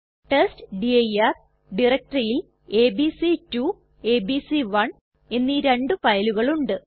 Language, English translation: Malayalam, The testdir directory contains two files abc2 and abc1